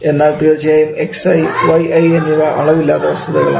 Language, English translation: Malayalam, But Xi and Yi of course a Dimensionless quantity